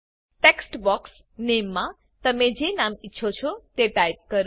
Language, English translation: Gujarati, In the Name text box, type the name that you wish to add